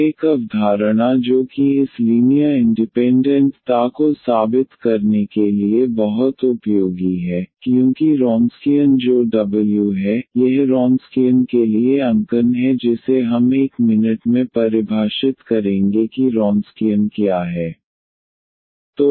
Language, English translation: Hindi, And one concept which is very useful to prove this linear independence since the Wronskian which is W this is the notation for the Wronskian we will define in a minute what is Wronskian